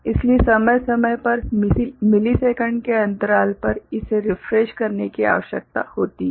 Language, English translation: Hindi, So, periodically, of the order of millisecond, it need to be refreshed